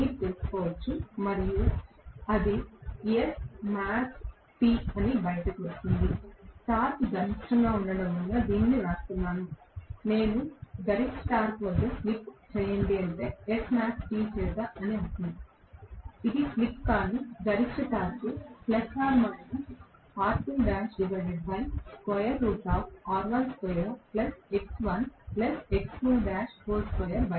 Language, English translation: Telugu, You can find out and that will come out to be S max T, I am writing this as the torque is maximum, slip at maximum torque that is what I mean by S max T, this is a slip but maximum torque it will come out to be R2 dash divided by R1 square plus x1 plus x2 dash the whole square square root right